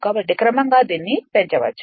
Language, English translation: Telugu, So, gradually it can be increased